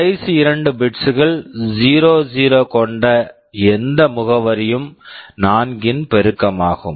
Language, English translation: Tamil, Any address with the last two bits 0 means it is a multiple of 4